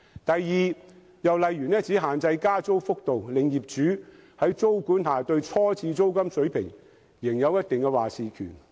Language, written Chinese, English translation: Cantonese, 第二，政策只限制加租幅度，令業主在租管下對初次租金水平仍有一定話事權。, Secondly the policy only regulates the level of rental increases . As such owners can still have a say in the initial rent for properties subject to tenancy control